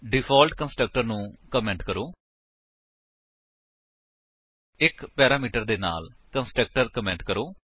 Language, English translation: Punjabi, Comment the default constructor, comment the constructor with 1 parameter